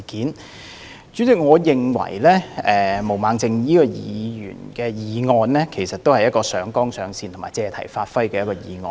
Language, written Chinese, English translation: Cantonese, 代理主席，我認為毛孟靜議員的議案是一項上綱上線和借題發揮的議案。, Deputy President I think Ms Claudia MOs motion has improperly escalated the incident to a high level and made an issue of it